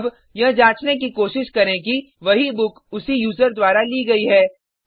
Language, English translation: Hindi, Here, we check if the same book has already been issued by the same user